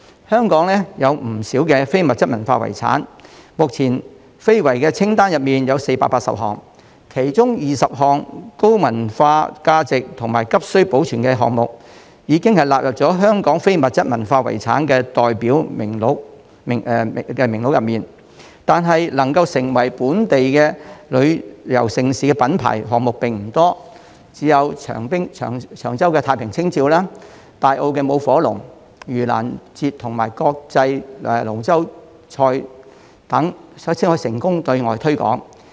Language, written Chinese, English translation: Cantonese, 香港有不少非遺，目前，香港非遺清單上有480個項目，其中有20項具有高文化價值和急需保存的項目，已納入香港非遺代表作名錄中，但能夠成為本地旅遊盛事品牌的項目並不多，只有長洲太平清醮、大坑舞火龍、盂蘭節和國際龍舟邀請賽等才可成功對外推廣。, There are a number of ICH in Hong Kong . At present the ICH inventory of Hong Kong contains 480 items among which 20 items of high cultural value and with urgent need for preservation have been included in the Representative List of ICH of Hong Kong . Despite so not many of the items can become celebrated branded tourism events of Hong Kong with only Cheung Chau Jiao Festival the Tai Hang Fire Dragon Dance Yu Lan Festival and the International Dragon Boat Races being able to make their way to overseas promotion